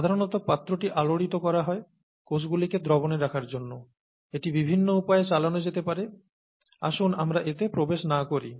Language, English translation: Bengali, The vessel is typically stirred to keep the cells in suspension, it could be operated in many ways and so on, let us not get into that